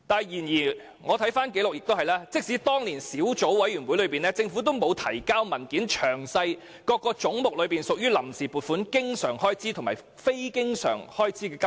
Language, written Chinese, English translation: Cantonese, 然而，即使當年成立了小組委員會，政府亦未曾提交文件，詳列各個總目中屬於臨時撥款的經常開支及非經常開支的金額。, However even with the establishment of the Subcommittee the Government had never submitted any documents with a detailed breakdown of the amounts of funds on account by recurrent and non - recurrent expenditures